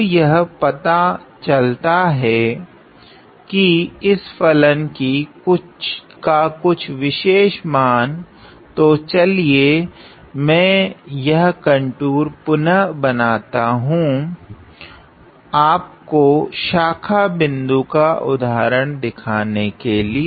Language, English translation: Hindi, Now it turns out that at certain value of this function; so let me just redraw this contour to show you an example of a branch point